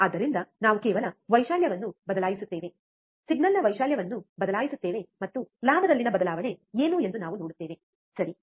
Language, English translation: Kannada, So, we will just change the amplitude, change the amplitude of the signal, and we will see what is the change in the gain, alright